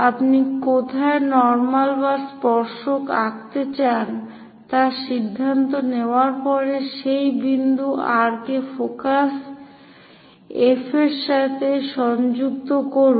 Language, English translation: Bengali, After deciding where you would like to draw the normal or tangent connect that point R with focus F 1